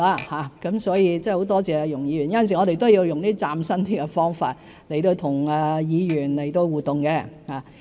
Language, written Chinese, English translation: Cantonese, 很多謝容議員，有時候我們也需要用比較嶄新的方法跟議員互動。, I am grateful to Ms YUNG; sometimes we need to interact with Members in a more innovative manner too